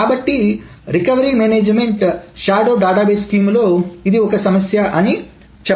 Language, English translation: Telugu, So recovery management, this is called a recovery management system and the shadow database scheme is one of them